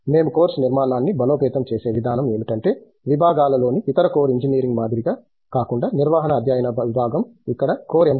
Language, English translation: Telugu, The way we are strengthend the course structure is because department of management studies unlike other core engineering in disciplines, where you get core M